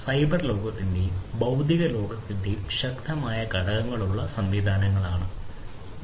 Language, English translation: Malayalam, So, these are systems where there is a strong component of the cyber world and the physical world